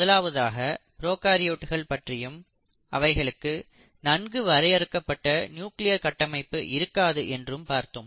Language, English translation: Tamil, We have talked about what is, what are prokaryotes, and we have seen that they do not have a well defined nuclear structure